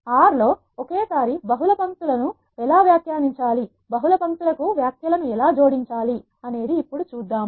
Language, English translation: Telugu, Now we will see how to add comments to multiple lines at once in R